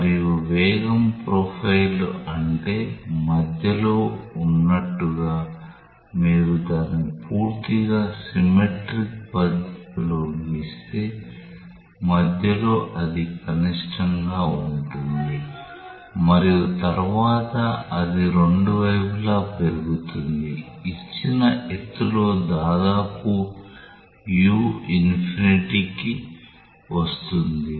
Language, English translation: Telugu, And the velocity profile is such that like at the middle, right if you draw it totally in a symmetric manner, at the middle it is like a minimum and then it increases in both sides, comes to almost u infinity at a given height